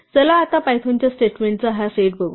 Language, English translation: Marathi, Let us look now at this set of python statements